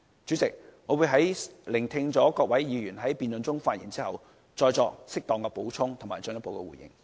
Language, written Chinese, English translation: Cantonese, 主席，我會聆聽各位議員在辯論中的發言，之後再作適當補充和進一步回應。, President I will listen to the speeches of the Members during the debate before making further comments and responses as appropriate